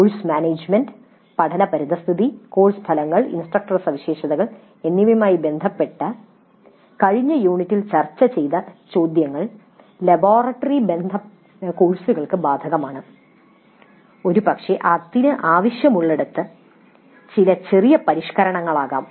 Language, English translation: Malayalam, Questions which were discussed in the last unit related to course management, learning environment, course outcomes, instructor characteristics are all applicable to laboratory courses also, perhaps with some minor modifications were required